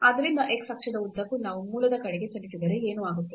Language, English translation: Kannada, So, along x axis if we move towards the origin, then what will happen